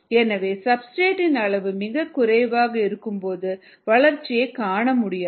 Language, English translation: Tamil, therefore, when ah, the substrate level is very low, one may not see growth at all